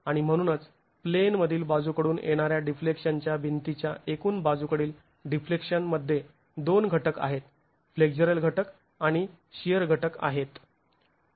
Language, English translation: Marathi, And so the total lateral deflection of a masonry wall in plain lateral deflection has two components, the flexural component and the shear component